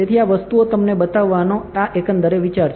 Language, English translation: Gujarati, So, this is overall idea of showing these things to you